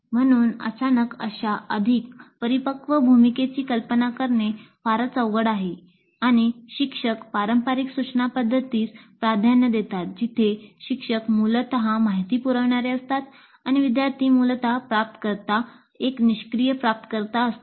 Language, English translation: Marathi, So it may be very difficult to suddenly assume such a more mature role and they may prefer a traditional instructional mode where the teacher is essentially a provider of information and the student is essentially a receiver, a passive receiver